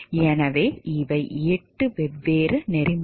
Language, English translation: Tamil, So, these are eight different codes of ethics